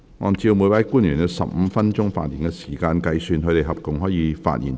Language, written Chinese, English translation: Cantonese, 按照每位官員有15分鐘發言時間計算，他們合共可發言最多90分鐘。, On the basis of the 15 - minute speaking time for each officer they may speak for up to a total of 90 minutes